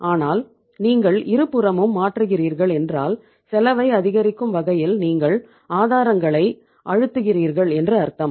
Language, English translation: Tamil, But if you are changing both the sides it means you are fully say squeezing the the sources which are increasing the cost